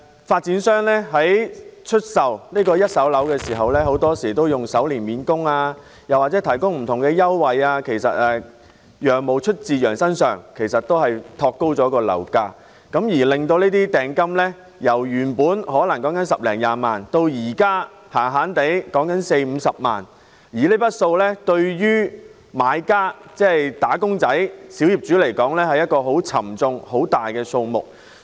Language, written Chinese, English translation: Cantonese, 發展商出售一手住宅物業時，往往以首年免供或提供不同優惠作招徠，但"羊毛出自羊身上"，發展商變相托高了樓價，令訂金由十多二十萬元變成四五十萬元，而這筆款項對於買家來說，是一個很巨大的數目。, In the sale of first - hand properties developers often solicit purchasers by offering mortgage repayment holiday for the first year or providing various concessions . However as the saying goes the fleece comes off the sheeps back . In doing so developers have in effect shored up the property prices